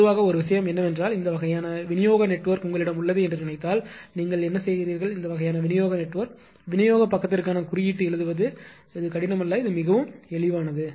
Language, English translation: Tamil, One thing is generally what do you whatever whatever you see that suppose you have a this kind of distribution network this kind of distribution network right, coding writing for this one for distribution side is not difficult one it is quite easy right